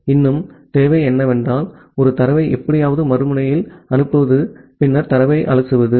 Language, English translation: Tamil, What is more required is to send a data somehow at the other end, and then just parse the data